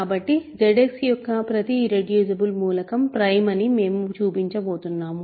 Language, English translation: Telugu, So, we are going to show that every irreducible element of Z X is prime